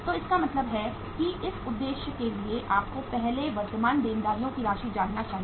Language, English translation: Hindi, So it means for that purpose you must be knowing the amount of the current liabilities first